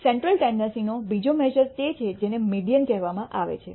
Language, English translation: Gujarati, Another measure of central tendency is what is called a median